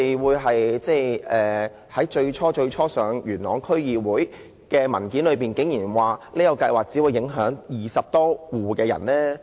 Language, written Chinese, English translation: Cantonese, 為何在最初提交元朗區議會的文件中竟然指出有關計劃只會影響20多戶居民？, How come in the initial document submitted to Yuen Long District Council it was stated that the plan would only affect 20 or so households?